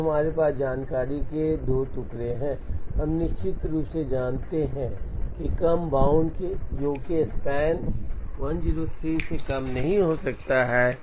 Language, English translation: Hindi, So, now we have 2 pieces of information, we know definitely based on the lower bound that the make span cannot be less than 103